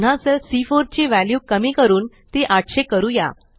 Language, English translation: Marathi, Again, lets decrease the value in cell C4 to 800